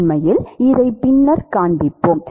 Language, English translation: Tamil, We will actually show this later